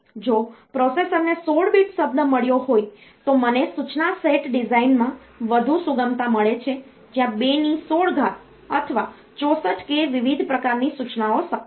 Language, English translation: Gujarati, If a processor has got 16 bit word then I have got more flexibility in the instruction set design where there can be 2 power 16 or 64 k different types of instructions that are possible